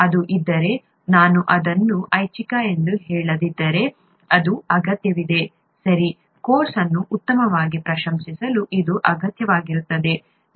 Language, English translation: Kannada, If it is, if I do not say it is optional it is required, okay, required to appreciate the course better